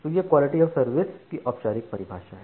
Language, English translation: Hindi, So, this is the formal definition of quality of service